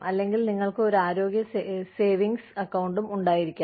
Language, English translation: Malayalam, Or, you could also have a health savings account